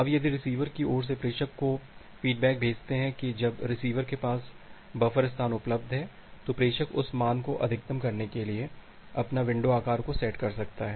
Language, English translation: Hindi, Now if you send the feedback from the receiver side to the sender that when the receiver has this much of buffer space available, then the sender can set its window size to maximum that value